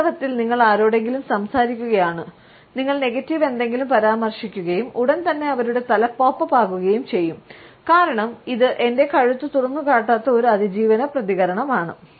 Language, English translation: Malayalam, In fact, you can be talking to someone and you mentioned something negative and immediately their head will pop up, because it is a survival response that I will not expose my neck